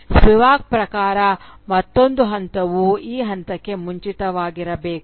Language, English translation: Kannada, According to Spivak, this step should be preceded by another step